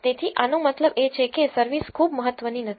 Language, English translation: Gujarati, So, this tells you that service is not very important